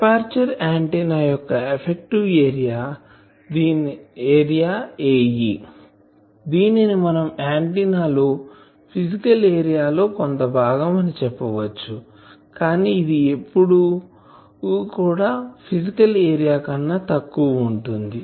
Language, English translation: Telugu, Aperture antenna, the effective area A e, we can say some fraction of the physical area of the antenna, always it is less than the physical area